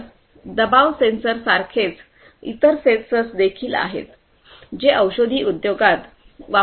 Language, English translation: Marathi, Like this there are different different other sensors that would also be used in the pharmaceutical industry